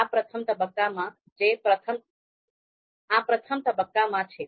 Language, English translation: Gujarati, So this is in the first phase